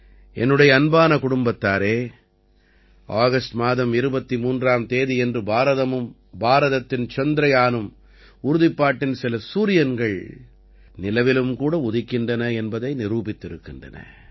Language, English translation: Tamil, My family members, on the 23rd of August, India and India's Chandrayaan have proved that some suns of resolve rise on the moon as well